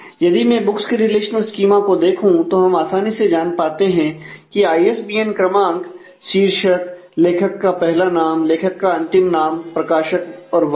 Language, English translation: Hindi, So, if I look at the books relational schema, then we easily know that ISBN number will uniquely identify the title, author first name; authors last name, publisher and year